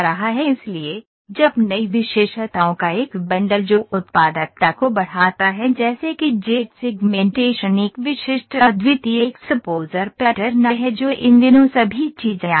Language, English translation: Hindi, So, when with a bundle of new features that enhance productivity such as Z segmentation a specific unique exposure patterns all those things are coming these days